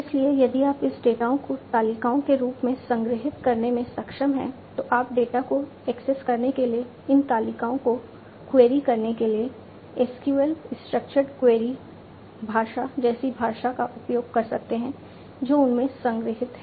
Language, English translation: Hindi, So, if you are able to store this data in the form of tables, so you can use a language like SQL, Structured Query Language to query these tables to access the data, that are stored in them